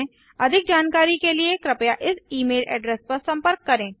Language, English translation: Hindi, For more details please contact them at this e mail address